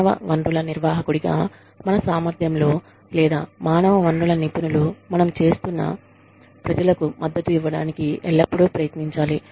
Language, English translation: Telugu, In our capacity, as human resources manager, we should, or human resources professionals, we should always strive to support the people, that we are working with